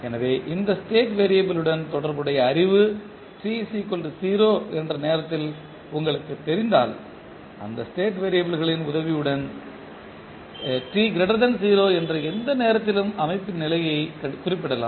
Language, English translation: Tamil, So, if you have knowledge for related to this state variable at time t is equal to 0 you can specify the system state for any time t greater than 0 with the help of these state variables